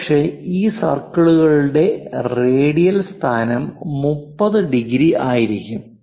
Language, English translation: Malayalam, Perhaps this circle the radial location that is placed at 30 degrees